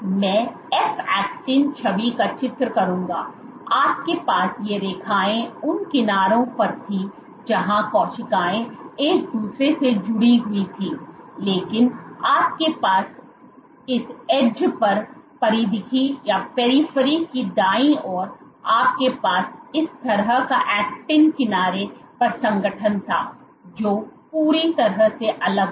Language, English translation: Hindi, So, I will draw the f actin image, so f actin was, you had these lines at the edges where the cells remained attached to each other, but you had this corner right the periphery of the right the periphery of this thing where you had, this kind of actin was completely different in organization at the edge